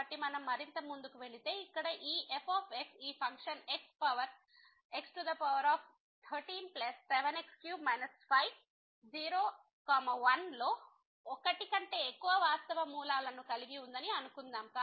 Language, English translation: Telugu, So, if we move further suppose that this this function here x power 13 plus 7 x minus 5 has more than one real root in [0, 1]